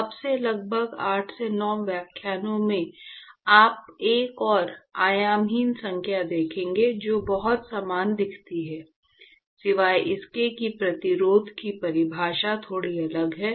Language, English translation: Hindi, In about 8 to 9 lectures from now, you will see another dimensionless number, which looks very similar except that the definition of the resistance is slightly different